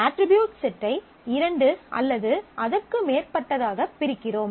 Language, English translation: Tamil, You divide the set of attributes into two or more at sets of attributes